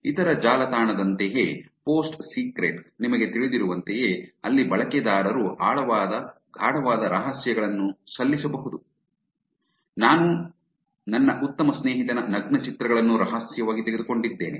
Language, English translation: Kannada, You know kinda like that other website Post Secret, where in users can submit those deep dark secrets they would not even tell their best friend, like I secretly took nude pictures of my best friend